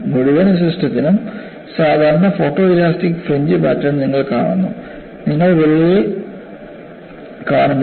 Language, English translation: Malayalam, And you see the typical photo elastic fringe pattern for the whole system; you are not seeing for the crack